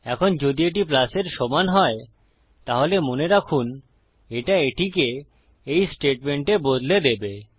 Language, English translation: Bengali, Now if it equals to a plus, remember that it switches over to this statement